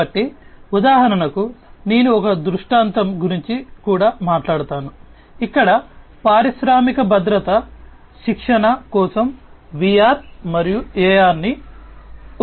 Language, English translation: Telugu, So, for example, there are situations I will also talk about a scenario, where VR as well as AR can be used for training of industrial safety